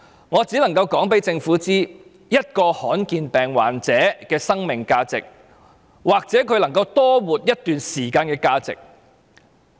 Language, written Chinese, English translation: Cantonese, 我只能夠告訴政府，一名罕見疾病患者的生命價值，或者他能夠多活一段時間的價值。, I can only tell the Government the value of the life of a rare disease patient or the value the patient who can live longer